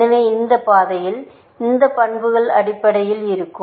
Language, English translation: Tamil, So, on this path, these properties will hold, essentially